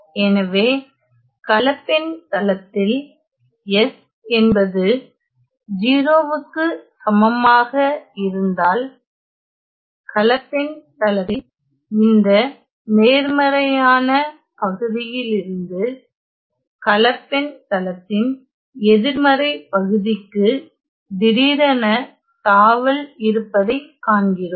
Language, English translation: Tamil, So, in the complex plane we see that at S equal to 0 there is a sudden jump from this positive half of the complex plane to the negative half of the complex plane